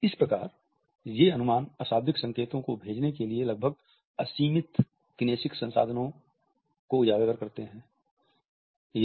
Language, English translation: Hindi, These estimates highlight the nearly limitless kinesic means for sending nonverbal signals